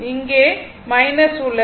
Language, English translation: Tamil, It will be there